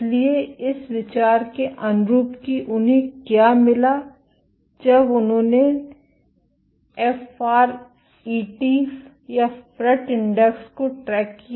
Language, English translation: Hindi, So, consistent with this idea what they found was the when they tracked the FRET index